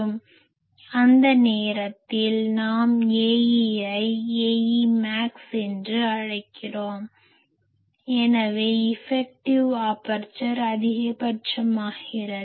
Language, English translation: Tamil, So, we can that time call the A e as A e max so, effective aperture become maximum